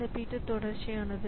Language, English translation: Tamil, So, this is our P 2